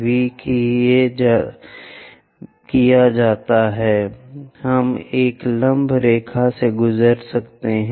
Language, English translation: Hindi, Once V is done, we can construct a perpendicular line passing through